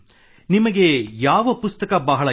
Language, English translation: Kannada, Which book do you like a lot